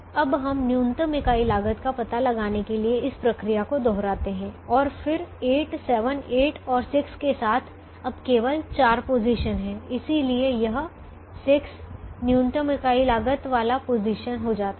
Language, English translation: Hindi, now we repeat this procedure to find out the minimum unit cost, and then there are only four positions now with eight, seven, eight and six